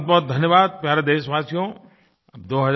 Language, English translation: Hindi, I thank you my dear countrymen